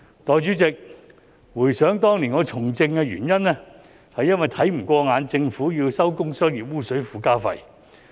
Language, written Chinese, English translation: Cantonese, 代理主席，回想當年我從政的原因，是看不過眼政府要徵收工商業污水附加費。, Deputy President I recall that I took part in politics years ago because I found it unacceptable for the Government to impose the Trade Effluent Surcharge TES